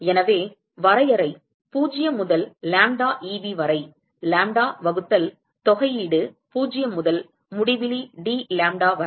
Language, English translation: Tamil, So, simply from the definition 0 to lambda Eb,lambda divided by integral 0 to infinity dlambda